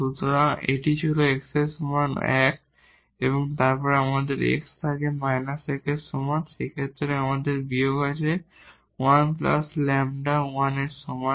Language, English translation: Bengali, So, this was x is equal to 1 and then if we have x is equal to minus 1 in that case we have minus and the 1 plus lambda is equal to 1